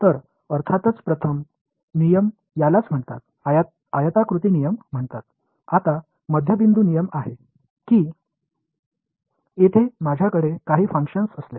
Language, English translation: Marathi, So, the first rule of course is the what is called as the; is called the rectangle rules, its the midpoint rule that if I have some function over here